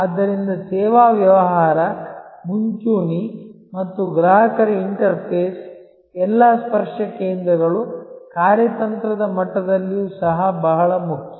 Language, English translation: Kannada, So, the service business, the front line and the customer interface all the touch points are very important even at a strategic level